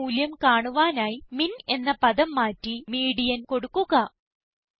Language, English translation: Malayalam, To find the median value, replace the term MIN with MEDIAN